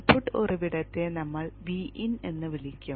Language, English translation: Malayalam, We'll call the input source as V In